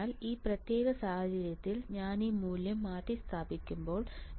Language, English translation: Malayalam, So, I have to substitute this value in this particular equation